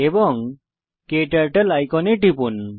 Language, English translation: Bengali, And Click on the KTurtle icon